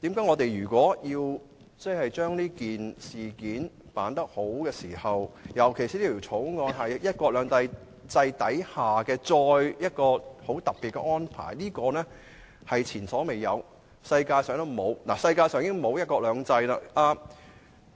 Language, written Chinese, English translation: Cantonese, 我們應善盡議員的職責，特別考慮到《條例草案》關乎"一國兩制"下的一項特別安排，屬前所未有，而其他國家也沒有"一國兩制"。, We should duly perform our responsibilities as Members particularly considering that the Bill concerns a special arrangement under one country two systems which will be unprecedented and that no other countries have implemented one country two systems